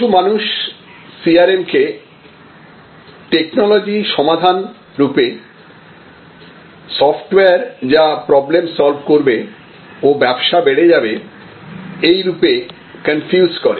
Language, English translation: Bengali, That many people confuse CRM as some sort of technology solution, some sort of software which will solve all problems and grow your business